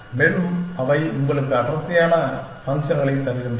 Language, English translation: Tamil, And they give you denser functions essentially